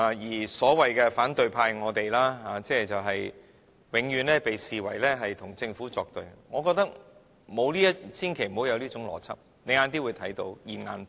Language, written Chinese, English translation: Cantonese, 至於所謂的反對派——即我們，永遠被視為和政府作對，我覺得千萬不要有這種邏輯，你晚點會看到"現眼報"。, As to the opposition―that is us will be deemed an eternal rival of the Government . I consider that we should not have this kind of logic . You will see the instant karma later on